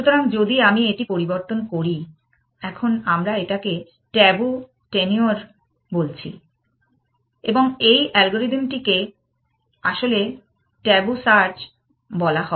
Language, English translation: Bengali, So, if I change this, now let us say, so this t is called the tabu tenure and this algorithm is actually called tabu search